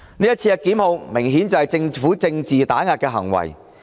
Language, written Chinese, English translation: Cantonese, 這次檢控明顯就是政府政治打壓的行為。, The prosecution is obviously an act of political suppression by the Government